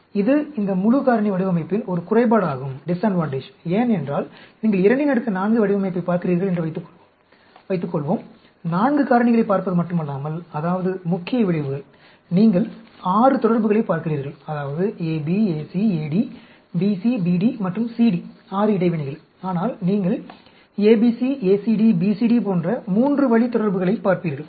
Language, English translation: Tamil, But, that is also a disadvantage of this full factorial design, because, suppose you look at a 2 power 4 design; not only look at 4 factors, the main effects, you are looking at 6 interactions; that is, AB, AC, AD, BC, BD, and CD 6 interactions; but you will look at three way interactions like, ABC, ACD, BCD and so on